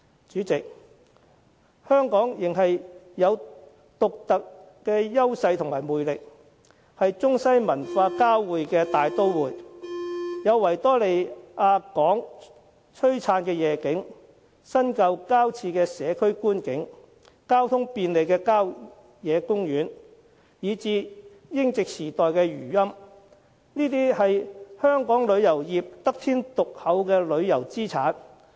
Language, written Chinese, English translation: Cantonese, 主席，香港仍有獨特優勢和魅力，是中西文化交匯的大都會，有維多利亞港的璀璨夜景、新舊交織的社區觀景、交通便利的郊野公園，以至英殖時代的餘韻，這些都是香港旅遊業得天獨厚的旅遊資產。, President Hong Kong still has its unique edges and attractiveness . It is a metropolitan city where East meets West . It has the glamorous night view of Victoria Harbour community outlook where modernity interweaves with traditional richness easily accessible country parks and remnants of the colonial times